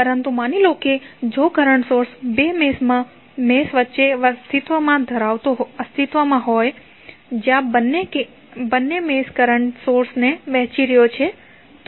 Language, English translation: Gujarati, But suppose if the current source exist between two meshes where the both of the meshes are sharing the current source then what you have to do